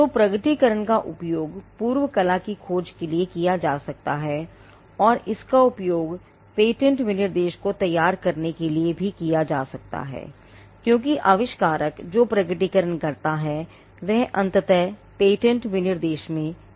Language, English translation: Hindi, So, the disclosure can be used to search for the prior art, and it can also be used to draft the patent specification itself, because it is the disclosure that the inventor makes, that eventually gets into the patent specification